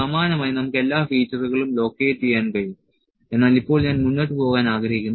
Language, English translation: Malayalam, Similarly, we can locate all the features, but now I will like to move forward